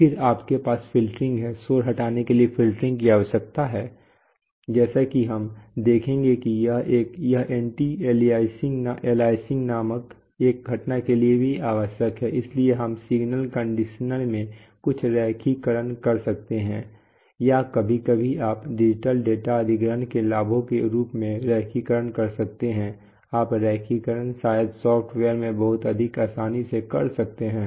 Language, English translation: Hindi, Then you have filtering, filtering is required for noise removal, as we will see it is also required for a phenomenon called anti aliasing, so and we could do some linearization in the signal conditioner itself or you know, sometimes you can do the linearization as one of the, one of the benefits of digital data acquisition is that you can do that in linearization probably much more easily in software so